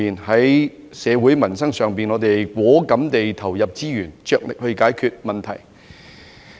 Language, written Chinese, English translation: Cantonese, 在社會民生上，我們果敢地投入資源，着力去解決問題。, To improve peoples livelihood we are resolute in devoting resources and will spare no effort in solving problems